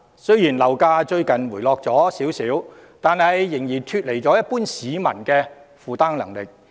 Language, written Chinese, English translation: Cantonese, 雖然樓價最近有輕微回落，但仍然脫離一般市民的負擔能力。, Despite the recent slight decrease in property prices they are still beyond the affordability of the general public